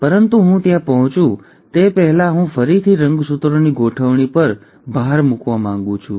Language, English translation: Gujarati, But before I get there, I again want to re emphasize the arrangement of chromosomes